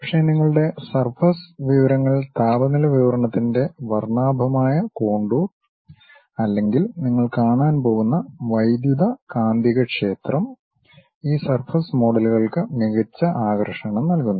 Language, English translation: Malayalam, But, your surface information like a colorful contour of temperature distribution or electromagnetic field what you are going to see, that gives a nice appeal by this surface models